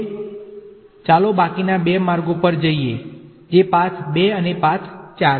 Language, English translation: Gujarati, Now let us go back to the remaining two paths which are path 2 and path 4